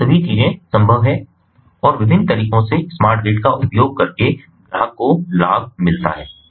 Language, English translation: Hindi, so all these things are possible and the customer gets benefited by using smart grid in different ways